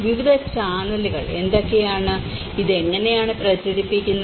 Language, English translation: Malayalam, And what are the various channels, how this is disseminated